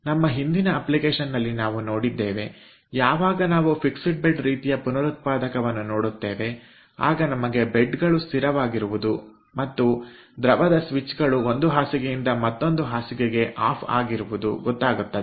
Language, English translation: Kannada, in our earlier application we have seen, when we have seen the ah, ah, fixed bed kind of regenerator, we have seen that the beds are fixed and the fluid switches off from one bed to another bed